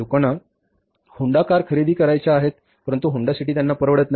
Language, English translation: Marathi, People want to buy Honda cars but they cannot afford all the times Honda City